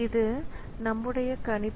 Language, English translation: Tamil, So, that is the prediction